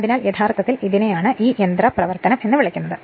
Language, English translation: Malayalam, So, this is actually what you call this mechanism